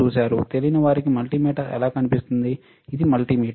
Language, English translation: Telugu, For those who do not know how multimeter looks like for them, this is the multimeter